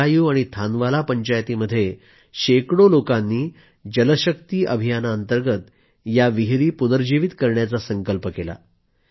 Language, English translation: Marathi, But one fine day, hundreds of people from Bhadraayun & Thanawala Panchayats took a resolve to rejuvenate them, under the Jal Shakti Campaign